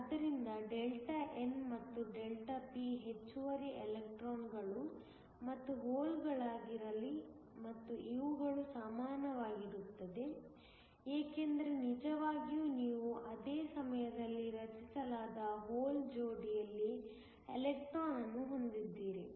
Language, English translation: Kannada, So, let Δn and Δp be the excess electrons and holes and these are equal because, really you have an electron in a hole pair being created at the same time